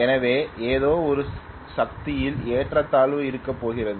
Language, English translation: Tamil, So something conks out I am going to have a power imbalance